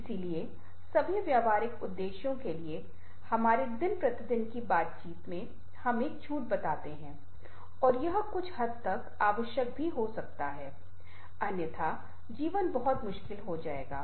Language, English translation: Hindi, so for all practical purposes, in our day to day interaction, we do tell a lie and that might be some extent required also, otherwise lie will be very difficult